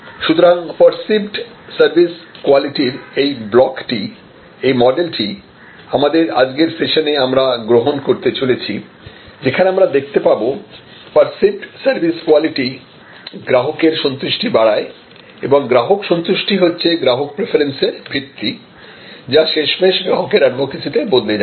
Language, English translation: Bengali, So, perceived service quality, this block, this is what we are progressing our today session is going to adopt this model that perceived service quality leads to customer satisfaction and customer satisfaction is the bedrock for customer preference, which we will then bloom into customer advocacy